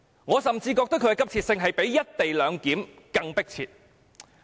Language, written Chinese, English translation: Cantonese, 我甚至認為它比"一地兩檢"更急切。, I even consider that the Bill is more urgent than the co - location arrangement